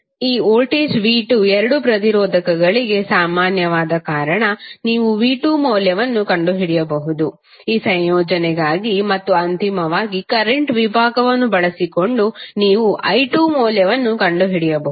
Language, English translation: Kannada, Since this voltage V2 is common for both resistors, you can find out the value V2, for this combination and then finally using the current division you can find out the value of pi2